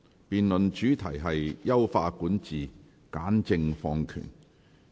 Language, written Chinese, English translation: Cantonese, 辯論主題是"優化管治、簡政放權"。, The debate theme is Enhance Governance Streamline Administration